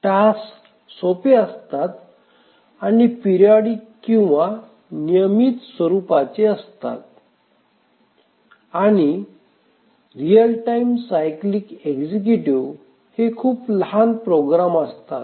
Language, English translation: Marathi, The tasks are simple here and periodic in nature and these real time cyclic executives are basically very small programs